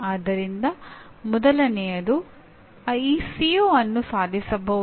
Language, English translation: Kannada, So first thing is, is the CO attainable